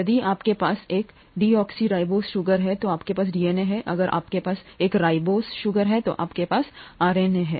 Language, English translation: Hindi, If you have a deoxyribose sugar you have DNA, if you have a ribose sugar you have RNA